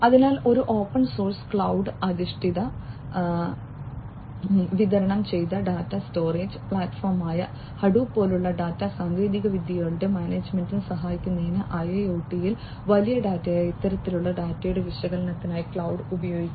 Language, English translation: Malayalam, So, in IIoT for helping in the management of the data technologies such as Hadoop, which is an open source cloud based distributed data storage platform, cloud can be used for the analysis of this kind of data, which is big data